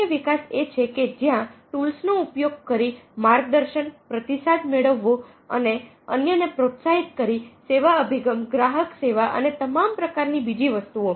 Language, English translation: Gujarati, developing others is where used to mentoring, getting feedback, motivating others, having a service orientation, help support customer service and all kinds of things